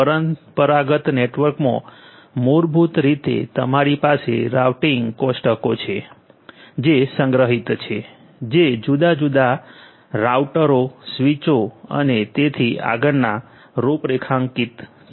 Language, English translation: Gujarati, Routing in a traditional network basically you have routing tables which are stored which are pre configured in different different routers, switches and so on